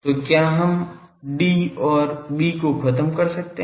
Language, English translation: Hindi, So, can we eliminate D and B